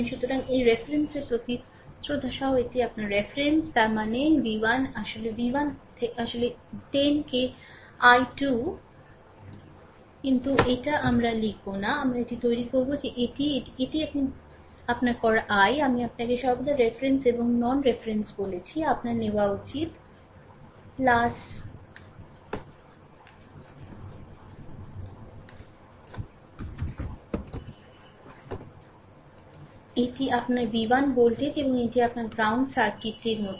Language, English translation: Bengali, So, with respect to this reference this your reference; that means, v 1 actually v 1 actually 10 into i 2, right, this v 1 actually 10 into, but we will not write this, we will make it that this is your make it plus right ah I told you always the reference and non reference, you should take plus this is your v 1 voltage and this is your ground right circuit is like this